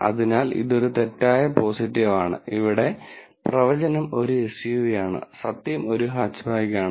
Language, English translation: Malayalam, So, this is a false positive and here the prediction is a SUV and the truth is hatchback